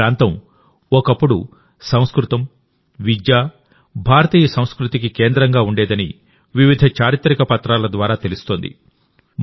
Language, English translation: Telugu, Various historical documents suggest that this region was once a centre of Sanskrit, education and Indian culture